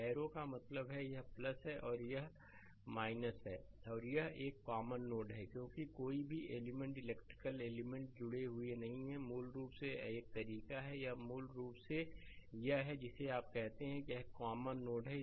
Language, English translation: Hindi, Arrow means it is plus and this is minus right and this one this one is a common node, because no elements electrical elements are connected, basically it is a way this a it is a basically your what you call, there is a common node right